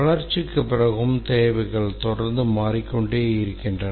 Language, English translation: Tamil, And even after the development, the requirements continue to change